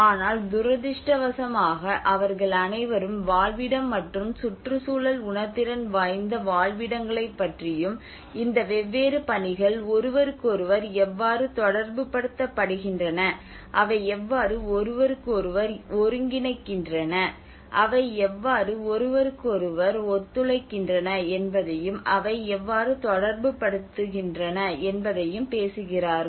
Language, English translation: Tamil, But unfortunately they are all talking about habitat and Eco sensitive habitats and how they are interrelating how these different missions are interrelated to each other, how they are coordinating with each other, how they are cooperating with each other